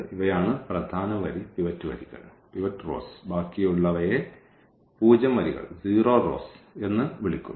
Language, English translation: Malayalam, These are the pivotal row pivot rows and the rest here these are called the zero rows